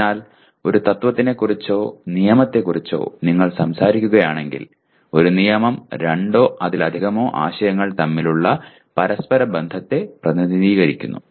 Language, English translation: Malayalam, So a principle or a law if you talk about, a law is nothing but represents interrelationship between two or more concepts